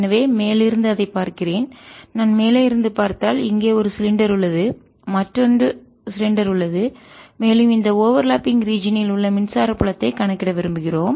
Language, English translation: Tamil, if i look at it from the top, here is one cylinder and here is the other cylinder, and it is in this overlapping region that we wish to calculate the electric field